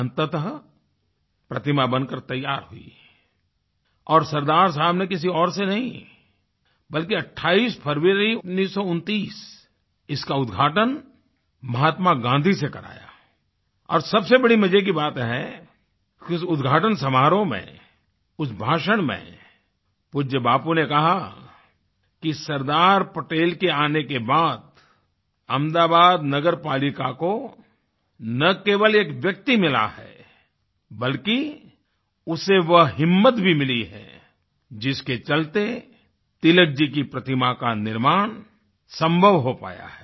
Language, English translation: Hindi, Finally, the statue got built and Sardar Saheb got it unveiled by none other than Mahatma Gandhi on 28th February, 1929; and the most interesting point is that during that inaugural ceremony revered Bapuji said that with the coming of Sardar Patel, Ahmedabad Municipal Corporation has not only got a man but it has got the strength on the basis of which, building the statue of Tilakji has become possible